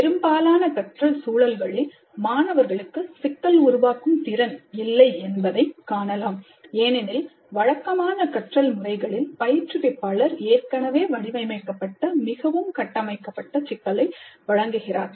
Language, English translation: Tamil, In a majority of learning context, it has been observed that students do not have problem formulation skills because in most of the conventional formal programs, the instructor provides a highly structured problem already formulated